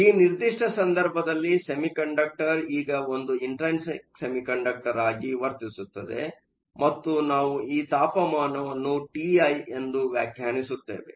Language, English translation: Kannada, In this particular case, the semiconductor now behaves as an intrinsic semiconductor, and we define this temperature as T i